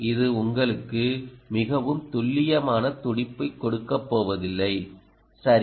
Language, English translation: Tamil, its ot going to give you a very accurate pulse right